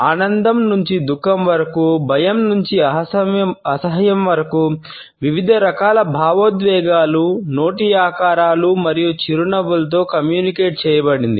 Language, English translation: Telugu, From happiness to sorrow, from fear to disgust, different type of emotions are communicated with the shapes of mouth and our smiles